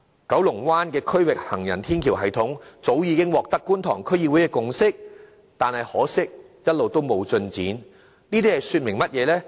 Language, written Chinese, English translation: Cantonese, 九龍灣的區域行人天橋系統早已取得觀塘區議會的共識，但可惜一直沒有進展，這說明甚麼呢？, Actually the elevated walkway system in Kowloon Bay has already gained the consensus of the Kwun Tong District Council but regrettably no further progress has been made yet . What does this tell?